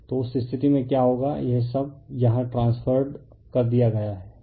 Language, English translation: Hindi, So, in that case what will happen at all this thing transferred to here